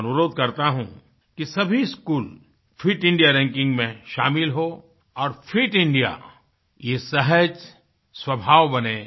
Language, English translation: Hindi, I appeal that all schools should enroll in the Fit India ranking system and Fit India should become innate to our temperament